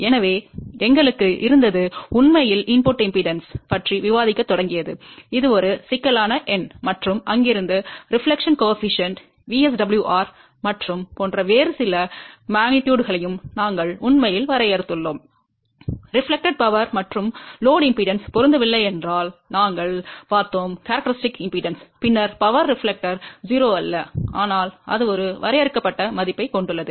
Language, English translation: Tamil, So, we are actually started discussing about input impedance which is a complex number and from there we are actually also defined few other quantities like a deflection coefficient, VSWR and reflected power and we have also seen that if the load impedance does not match with the characteristic impedance, when power reflected is not 0 but it has a finite value